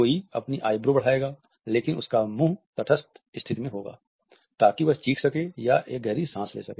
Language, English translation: Hindi, Someone will raise their eyebrows, but their mouth will also be in a neutral position to either scream or taking a big breath of oxygen